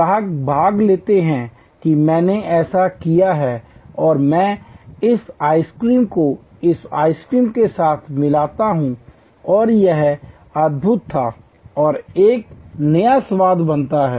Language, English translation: Hindi, Customers participate that I did this and I mix this ice cream with this ice cream and it was wonderful and a new flavor is created